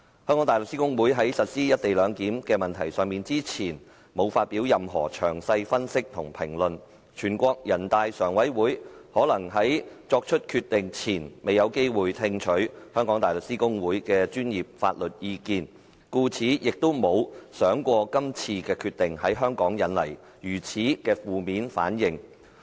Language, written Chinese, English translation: Cantonese, 香港大律師公會在實施"一地兩檢"的問題上，之前沒有發表任何詳細分析和評論，人大常委會可能在作出決定前未有機會聽取香港大律師公會的專業法律意見，故此亦沒有想過這次決定會在香港引來如此的負面反應。, HKBA did not published any detailed analysis and comments on the implementation of the co - location arrangement in the past . Hence NPCSC may not have the opportunity to heed the professional legal advice of HKBA before making the Decision and it has never thought that the Decision would induce such negative reactions in Hong Kong